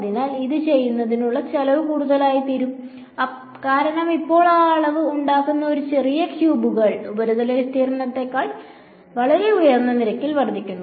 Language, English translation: Malayalam, So, this the cost of doing this is going to become more and more, because now a little cubes that make up that volume are increasing at a much higher rate than the surface area right